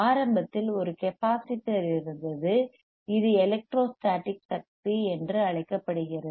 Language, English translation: Tamil, Iinitially there was a capacitor, whichit was charged that charging is called electrostatic energy